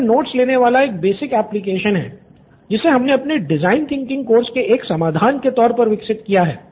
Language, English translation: Hindi, Okay so this is a basic note taking application we have developed as a part of our solution in design thinking